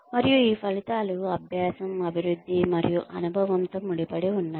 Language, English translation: Telugu, And, these outcomes are linked with learning, development, and experience